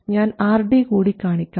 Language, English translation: Malayalam, We have RD and RL